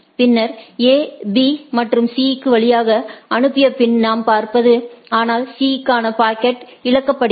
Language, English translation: Tamil, Then what we see after A sends the route to B and C, but the packet to C is lost right